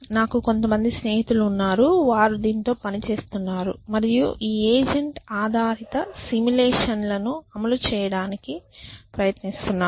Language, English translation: Telugu, And I have some friends who are sort of working with this and trying to implement these agent based simulations